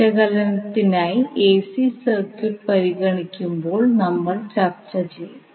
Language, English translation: Malayalam, We will discuss when we consider the AC circuit for the analysis